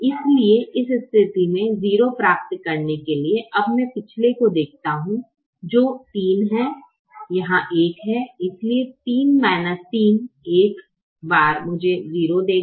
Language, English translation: Hindi, so in order to get a zero in this position, now i look at the previous one, which is three, here there is one